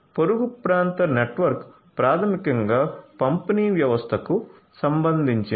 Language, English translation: Telugu, So, neighborhood area network basically just concerns the distribution the distribution system